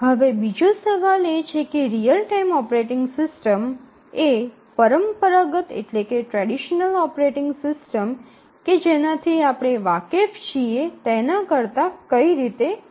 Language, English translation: Gujarati, Now, let us ask let us try to answer the second question that how is a real time operating system different from the traditional operating system with which we are familiar to